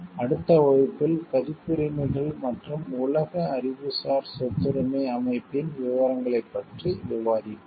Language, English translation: Tamil, We will discuss about copyrights and the details of the like world intellectual property organization in the next class